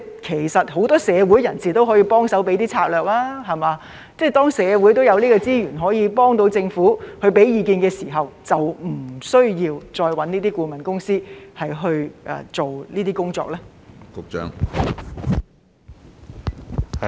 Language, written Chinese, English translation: Cantonese, 其實很多社會人士都可以幫忙提供策略，當社會已有資源可以幫助政府、並提供意見的時候，是否就不需要再委聘顧問公司去做這些工作呢？, As a matter of fact many public figures can offer suggestions and ideas on strategies . When resources are available in society to help the Government and give it advice is it not necessary to engage consultants to do such work?